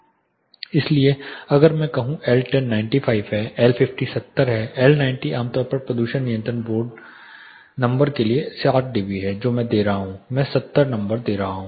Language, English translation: Hindi, So, if I say L10 is 95, L50 is 70, L90 is 60 dB typically for pollution control board number what I will be giving I will be giving the number 70 dB